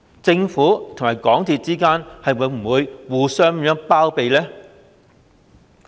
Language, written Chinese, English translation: Cantonese, 政府與港鐵公司之間會否互相包庇呢？, Would the Government and MTRCL harbour each other?